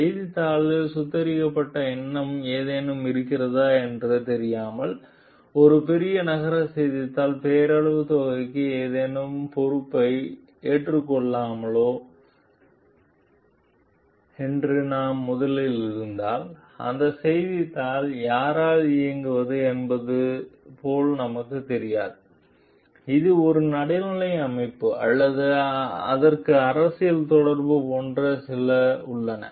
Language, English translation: Tamil, If we are first whether we will be taking up any responsibility as such for a nominal sum by a large city newspaper without knowing whether there is any mollified intention of the newspaper, we do not know like who that newspaper is like ran by is it a neutral organization or it has some like political affiliation